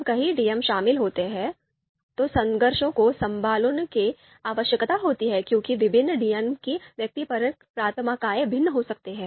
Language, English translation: Hindi, When multiple DMs are involved, conflicts need to be handled because the subjective preferences of you know different DMs could be different